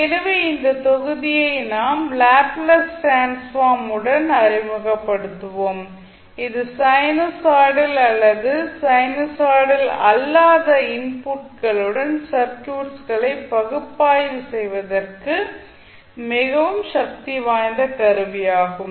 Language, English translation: Tamil, So in this module we will be introduced with the Laplace transform and this is very powerful tool for analyzing the circuit with sinusoidal or maybe the non sinusoidal inputs